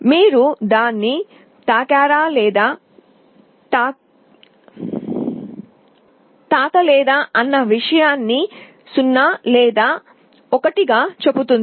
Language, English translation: Telugu, It says whether you have touched it or not touched it, 0 or 1